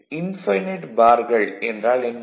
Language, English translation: Tamil, So, what is infinite bars